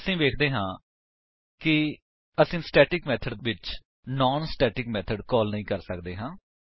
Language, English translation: Punjabi, We see that we cannot call a non static method inside the static method